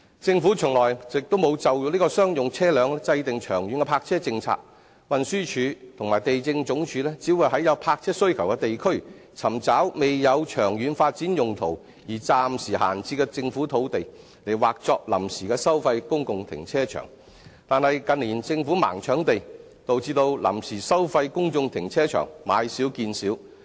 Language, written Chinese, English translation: Cantonese, 政府從來沒有就商用車輛制訂長遠的泊車政策，運輸署和地政總署只會在有泊車需求的地區，尋找未有長遠發展用途而暫時閒置的政府土地，劃作臨時收費公共停車場，但近年政府"盲搶地"，導致臨時收費公眾停車場買少見少。, The Government has never formulated any long - term parking policy for commercial vehicles . In the districts with parking demand the Transport Department and the Lands Department will only identify some pieces of temporarily idle government land without long - term development purpose as temporary fee - paying public car parks . However due to the wild scrambling for land by the Government in recent years there are less and less temporary fee - paying public car parks